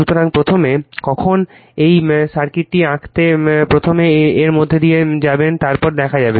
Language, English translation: Bengali, So, first when you will go through this first to draw this circuit, right then will see